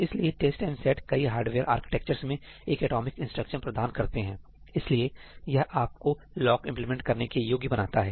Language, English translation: Hindi, test and set is provided as an atomic instruction in most hardware architectures , so, that enables you to implement locks